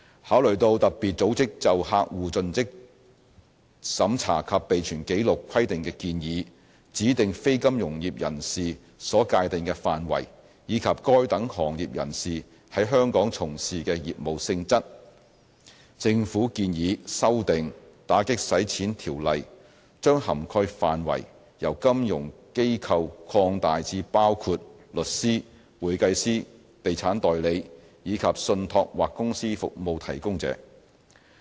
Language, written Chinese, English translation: Cantonese, 考慮到特別組織就客戶作盡職審查及備存紀錄規定的建議、指定非金融業人士所界定的範圍，以及該等行業人士在香港從事的業務性質，政府建議修訂《條例》，將涵蓋範圍由金融機構擴大至包括律師、會計師、地產代理，以及信託或公司服務提供者。, One of the deficiencies is the absence of statutory customer due diligence and record - keeping requirements for designated non - financial businesses and professions DNFBPs when they engage in specified transactions . Having regard to FATFs advice on customer due diligence and record - keeping requirements its defined scope of DNFBP coverage and the nature of business engaged by the corresponding professions in Hong Kong the Government proposes amending the Ordinance to extend its scope of coverage from financial institutions to cover solicitors accountants real estate agents and trust or company service providers